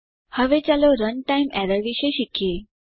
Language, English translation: Gujarati, Lets now learn about runtime errors